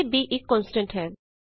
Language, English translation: Punjabi, Here, b is a constant